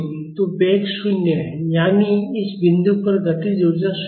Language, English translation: Hindi, So, the velocity is 0; that means, at this point kinetic energy is 0